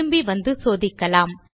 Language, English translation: Tamil, Lets come back and check....